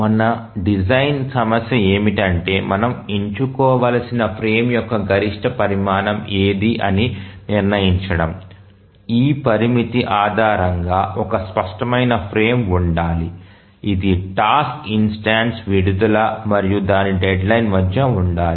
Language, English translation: Telugu, So, now our design problem is that how to decide which is the minimum size of the frame, sorry, which is the maximum size of the frame that we must choose based on this constraint that there must be a clear frame which must exist between the release of a task instance and its deadline